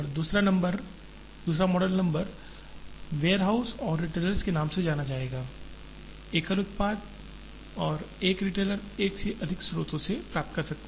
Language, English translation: Hindi, The second model would be known number warehouses and retailers, single product and a retailer can get from more than one source